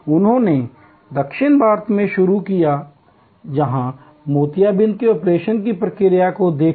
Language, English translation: Hindi, He started in South India, where by looking at the process of cataract operation